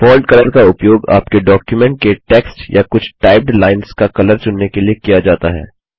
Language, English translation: Hindi, The Font Color is used to select the color of the text in which your document or a few lines are typed